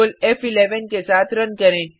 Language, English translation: Hindi, Let us run it with Ctrl, F11